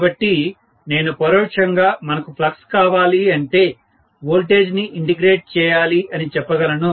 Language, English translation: Telugu, So, I can indirectly say if I want flux, I should be able to integrate the voltage